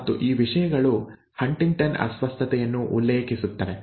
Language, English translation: Kannada, And these things refer to the HuntingtonÕs disorder